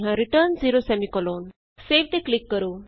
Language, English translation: Punjabi, Return 0 Click on Save